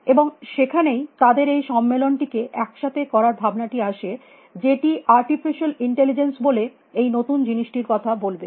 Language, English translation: Bengali, And it is they are that they got this idea of floating together this conference, which would talk about this new feel which was coming of call artificial intelligence